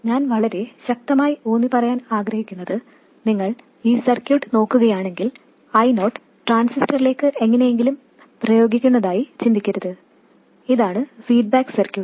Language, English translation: Malayalam, What I want to emphasize very strongly is that if you look at this circuit, don't think of it as I 0 being somehow applied to the transistor